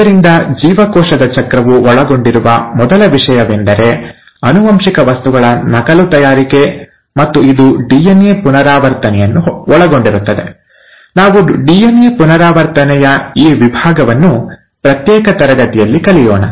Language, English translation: Kannada, So the first thing that a cell cycle involves is the preparation for duplication of the genetic material and this involves DNA replication, we will cover this section of DNA replication in a separate class